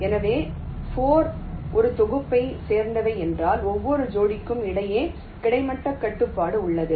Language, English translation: Tamil, so these four belong to a set means there is a horizontal constraint between every pair